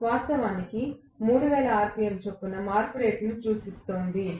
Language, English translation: Telugu, Originally it was looking at the rate of change at the rate of 3000 rpm